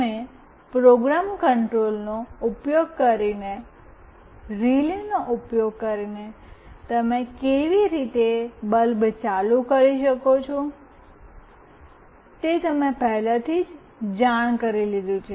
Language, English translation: Gujarati, You already have come across how you will switch ON a bulb using relay just using program control